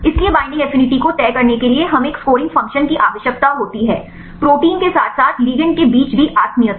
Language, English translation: Hindi, So, we need to have a scoring function to decide the binding affinity right between the protein as well as the ligand